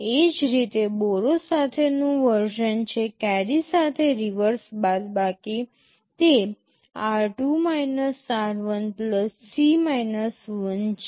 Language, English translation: Gujarati, Similarly, there is a version with borrow, reverse subtract with carry; it is r2 r1 + C 1